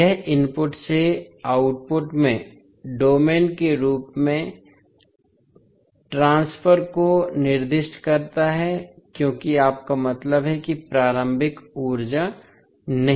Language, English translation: Hindi, It specifies the transfer from input to the output in as domain as you mean no initial energy